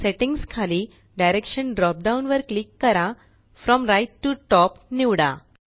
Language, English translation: Marathi, Under Settings, click the Direction drop down and select From right to top